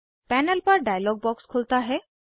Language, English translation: Hindi, A dialog box opens on the panel